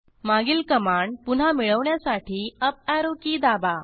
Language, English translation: Marathi, Now press the Up Arrow key to get the previous command